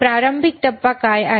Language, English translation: Marathi, What is the start phase